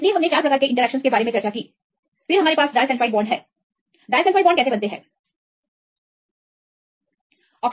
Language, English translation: Hindi, So, we discussed about four types of interactions; then also we have disulfide bonds, the disulfide bonds; how disulfide bonds are formed